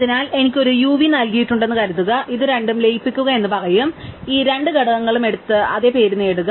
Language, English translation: Malayalam, So, suppose I am given a u and v it will say merge these two, so take these two components and give then the same name